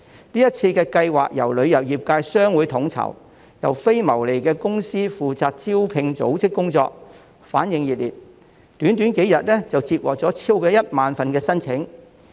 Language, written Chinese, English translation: Cantonese, 這次計劃由旅遊業界的商會統籌，並由非牟利的公司負責招聘組織工作，得到旅遊從業員熱烈反應，短短幾天便已接獲超過1萬份職位申請。, The project was coordinated by the chambers of commerce of the tourism industry with the recruitment work taken up by a non - profit - making company . It was cordially responded by tourism practitioners and over 10 000 job applications were received within just a few days